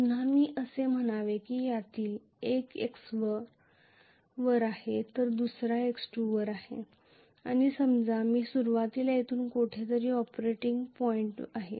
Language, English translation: Marathi, Again let me say me one of them is at x1 the other one is at x2 and let us say I am initially at an operating point somewhere here